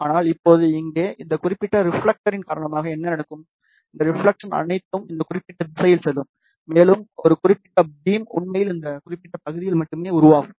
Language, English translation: Tamil, But, now because of this particular reflector here, what will happen, all of these reflection will go in this particular direction, and a beam will be actually formed only in this particular area